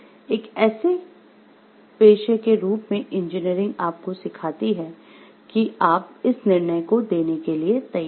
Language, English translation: Hindi, And engineering as a profession teaches you prepares you to give this judgment